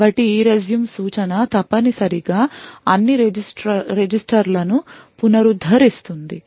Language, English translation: Telugu, So, the ERESUME instruction would essentially restore all the registers and so on